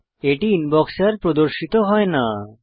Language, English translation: Bengali, It is no longer displayed in the Inbox